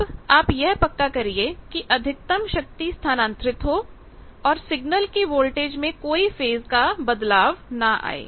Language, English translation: Hindi, Now, you ensure the maximum power transport, no phase shift in signal voltage here also